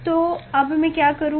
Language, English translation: Hindi, So now, what I will do